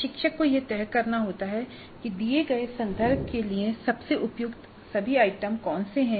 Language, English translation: Hindi, So the instructor has to decide which are all the items which are best suited for the given context